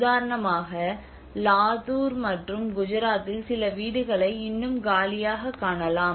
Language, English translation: Tamil, So for instance in Latur and Gujarat we can see even some of the houses still or empty unoccupied